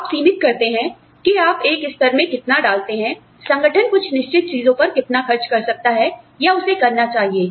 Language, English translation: Hindi, You limit, how much, or you put a slab on, how much the organization can spend, or should spend, on certain things